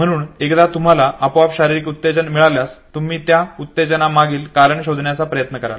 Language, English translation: Marathi, So by default once you have the physiological arousal you will try to find the reason behind that arousal